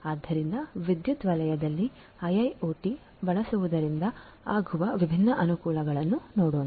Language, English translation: Kannada, So, let us look at their different advantages of the use of IIoT in the power sector